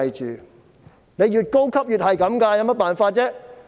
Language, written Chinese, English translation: Cantonese, 職位越高便越是這樣，有甚麼辦法呢？, The higher the position the more likely that is the case . What can they do?